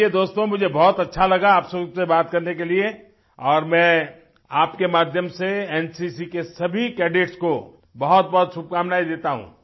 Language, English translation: Hindi, Ok,friends, I loved talking to you all very much and through you I wish the very best to all the NCC cadets